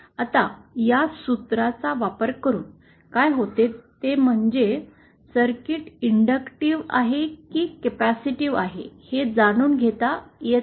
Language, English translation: Marathi, Now, using this formula, what happens is we we do not need to know whether the circuit is inductive or capacitive